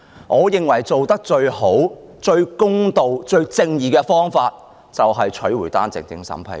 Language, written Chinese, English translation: Cantonese, 我認為最佳、最公道、最正義的方法，便是取回單程證審批權。, In my view the best fair and just way is to take back the power of vetting and approving OWP applications